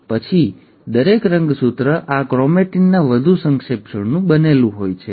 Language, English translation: Gujarati, And then, each chromosome consists of a further condensation of this chromatin